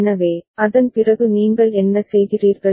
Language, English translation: Tamil, So, after that what do you do